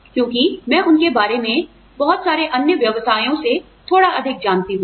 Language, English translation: Hindi, Because, I know about them, a little bit more than, I know about, a lot of other professions